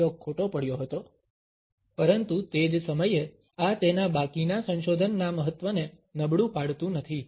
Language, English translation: Gujarati, This experiment had gone wrong, but at the same time this does not undermine the significance of the rest of his research